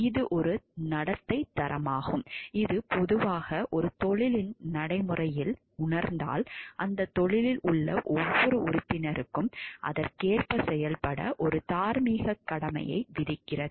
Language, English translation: Tamil, It is a standard of conduct which is generally realized in the practice of a profession imposes a moral obligation and each of the members of the profession to act accordingly